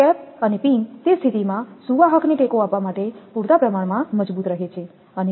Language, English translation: Gujarati, The cap and pin remain sufficiently strong to support the conductor in it is position